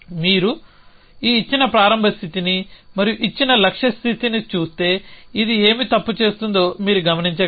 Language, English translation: Telugu, If you look at this given start state and that given goal state can you observe what this is doing wrong